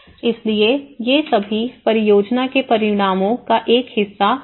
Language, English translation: Hindi, So all these have been a part of the project outcomes